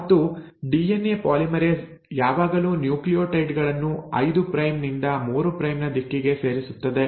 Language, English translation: Kannada, And DNA polymerase always adds nucleotides in a 5 prime to 3 a prime direction